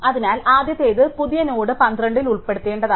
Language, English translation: Malayalam, So, the first thing is that this is where the new node must come to contain 12